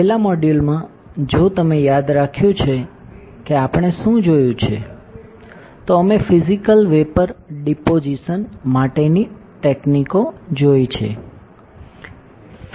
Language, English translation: Gujarati, In the last module, if you remember what we have seen, we have seen physical vapour deposition techniques